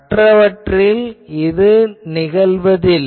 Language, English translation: Tamil, For others, it may not go